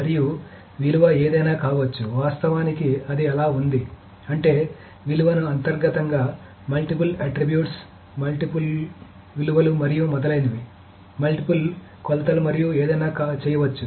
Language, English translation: Telugu, In fact it is so, I mean it can be even said that the value can be internally broken up into multiple attributes, multiple values, and so on so forth, multiple dimensions, and anything it can be done